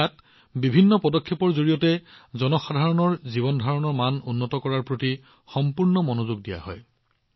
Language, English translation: Assamese, In this, full attention is given to improve the quality of life of the people through various measures